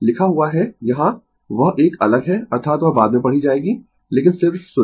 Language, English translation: Hindi, Write up is here that is a different that is that you read later but just listen